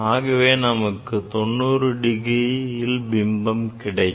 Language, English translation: Tamil, Then you will get reflection at 90 degree